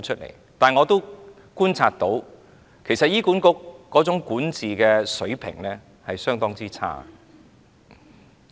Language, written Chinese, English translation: Cantonese, 然而，我觀察到，醫管局的管治水平相當差。, However as I have observed the management level of HA is rather poor